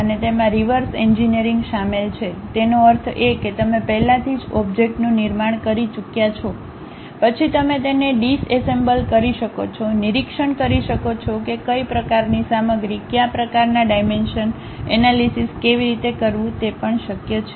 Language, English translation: Gujarati, And also it includes reverse engineering; that means, you already have constructed the object, then you can disassemble it, observe what kind of material, what kind of dimensions, how to really analyze that also possible